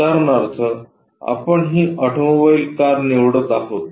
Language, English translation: Marathi, For that example we are picking this automobile car